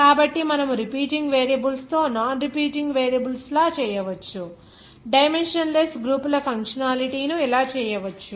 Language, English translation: Telugu, So you can make like this with those non repeating variables with that repeating variable you can make the functionality of dimensionless groups like this